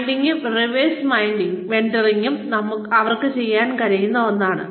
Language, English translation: Malayalam, Mentoring and reverse mentoring, is something that, they can do